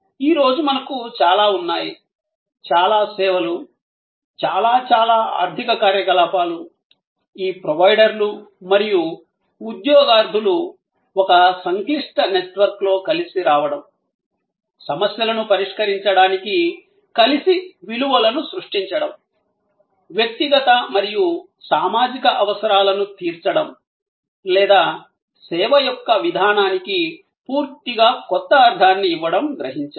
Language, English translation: Telugu, And we have many, many services today, many, many economic activities were this providers and seekers coming together in a complex network, creating values together to solve problems, to meet individual and social needs or giving a new complete meaning to the way service is perceived